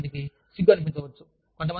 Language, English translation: Telugu, But then, some people may feel shy